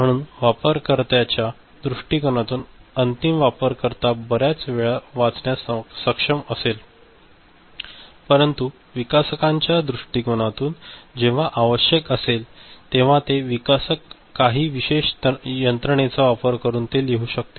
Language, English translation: Marathi, So, from the user point of view the final user end user will be able to read it many times ok, but the developers from developers point of view when it is required it will be able to, the developer will be able to write it by some special mechanism